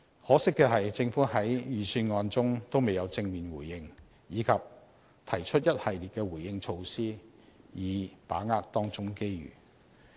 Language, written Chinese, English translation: Cantonese, 可惜的是，政府在預算案中未有正面回應，以及提出一系列的回應措施以把握當中機遇。, Unfortunately the Government has not responded positively in the Budget or proposed any measures to seize the opportunities